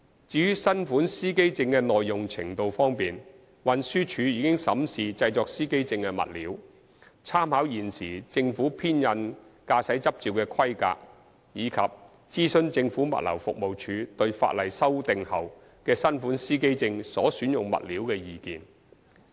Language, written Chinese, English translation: Cantonese, 至於新款司機證的耐用程度方面，運輸署已審視製作司機證的物料、參考現時政府編印駕駛執照的規格，以及諮詢政府物流服務署對法例修訂後的新款司機證所選用物料的意見。, As regards the durability of the new driver identity plates TD has reviewed the materials for producing driver identity plates made reference to the existing specifications of driving licences printed by the Government and consulted the Government Logistics Department on the materials to be selected for producing the new driver identity plates subsequent to the legislative amendments